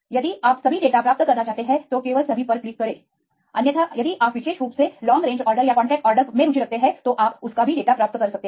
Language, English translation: Hindi, If you want to get all the data just click on all on otherwise if you are specifically interested on the long range order or contact order you can get the data